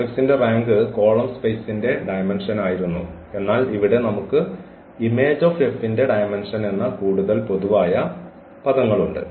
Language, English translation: Malayalam, So, the rank of the matrix was the dimension of the column space, but here we have the more general terminology that is called the image of the mapping F